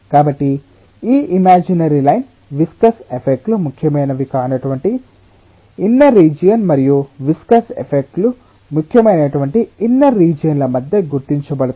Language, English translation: Telugu, so this imaginary line demarcates between a outer region where viscous effects are not important, so to say, and an inner region where the viscous effects are important, and the inner region where this viscous effects are important